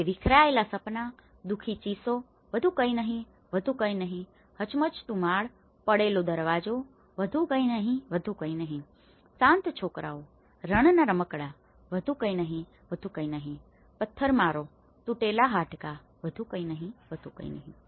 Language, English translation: Gujarati, He talks shattered dreams, woeful screams, nothing more, nothing more, shaken floor, fallen door, nothing more, nothing more, silent boys, deserted toys, nothing more, nothing more, tumbled stones, broken bones, nothing more, nothing more